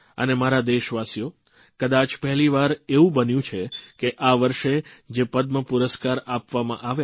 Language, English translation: Gujarati, My beloved countrymen, this year too, there was a great buzz about the Padma award